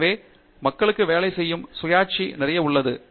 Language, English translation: Tamil, So, there is lot of autonomy by which people work